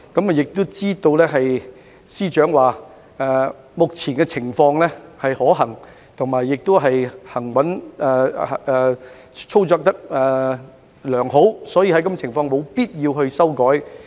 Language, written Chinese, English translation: Cantonese, 我亦知道，司長曾表示目前的情況是可行的，而且操作良好，所以在這情況下，沒有必要作出修改。, Also to my understanding the Chief Secretary has indicated that no changes are needed given that the current system works well and the operation is sound